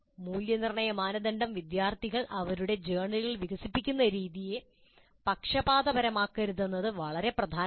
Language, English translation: Malayalam, So, it is very, very important that the assessment criteria should not bias the way students develop their journals